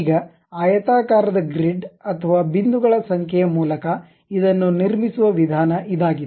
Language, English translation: Kannada, Now, this is the way a rectangular grid or number of points one can really construct it